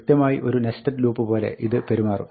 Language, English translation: Malayalam, Well, it will behave exactly like a nested loop